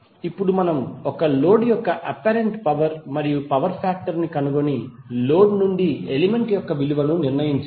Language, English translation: Telugu, Now we have to find out the apparent power and power factor of a load and determined the value of element from the load